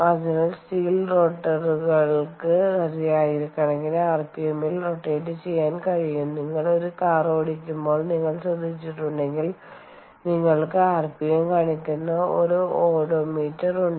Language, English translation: Malayalam, so steel rotors can spin at several thousand rpm, and the reason i i here i take the detour is, if you know, if you have noticed, during when you are driving a car, you have an odometer which shows rpm